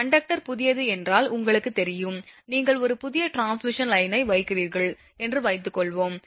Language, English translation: Tamil, You know if the conductor is a new one, I mean suppose you are a putting a new transmission line